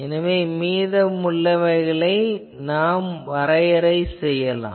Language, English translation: Tamil, And so we define as a residual